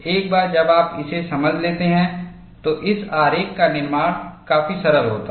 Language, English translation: Hindi, Once you understand it, constructing this diagram is fairly simple